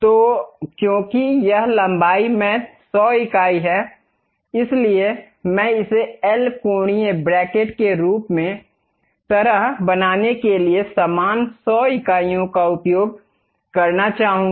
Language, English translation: Hindi, So, because it is 100 unit in length; so I would like to use same 100 units to make it like a L angular bracket